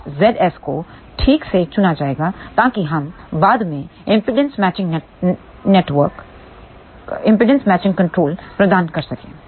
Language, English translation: Hindi, This Z S will be chosen properly so that we can provide impedance matching network later on